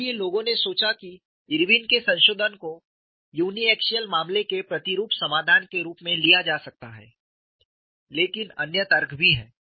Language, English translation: Hindi, So, people thought Irwin’s modification could be taken as a uniaxial case representative solution, but there are also other arguments